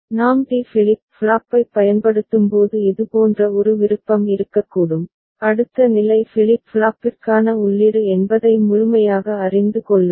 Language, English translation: Tamil, And one such option could be when we are using D flip flop ok, knowing fully well that the next state is the input to the flip flop right